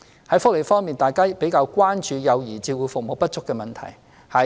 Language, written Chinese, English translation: Cantonese, 在福利方面，大家較為關注幼兒照顧服務不足的問題。, As for welfare services Members are more concerned about the shortage of child care services